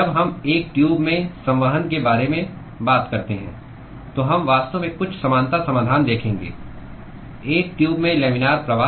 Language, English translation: Hindi, We will actually see some of the similarity solutions when we talk about convection in a tube laminar flow in a tube